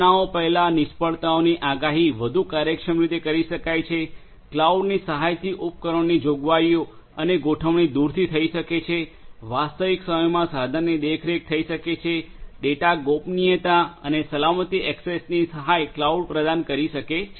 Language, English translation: Gujarati, Prediction of failures before occurrences can be done in a much more efficient and efficient manner, device provisioning and configuration can be done remotely with the help of cloud, real time device monitoring can be done, data privacy and security access can be provided with the help of cloud